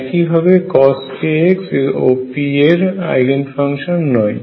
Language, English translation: Bengali, And similarly cosine k x is also not an Eigen function